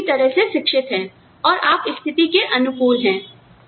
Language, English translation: Hindi, So, you are well educated, and you adapt to the situation